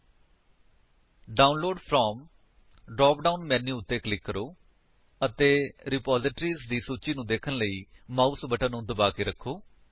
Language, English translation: Punjabi, Click on Download From drop down menu and hold the mouse button to see the list of repositories